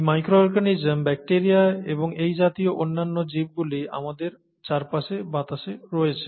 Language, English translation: Bengali, That is because there is these micro organisms, bacteria, and other such organisms are in the air around us